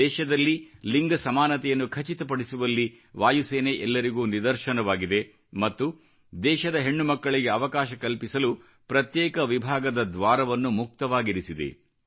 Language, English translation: Kannada, The Air Force has set an example in ensuring gender equality and has opened its doors for our daughters of India